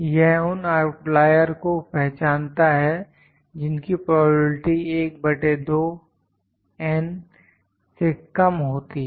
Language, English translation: Hindi, This identifies the outliers having probability less than 1 by 2 N